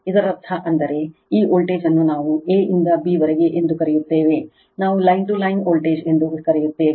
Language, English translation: Kannada, This that V a b is equal to V a n minus V b n that means, your what we call this voltage a to b, we call line to line voltage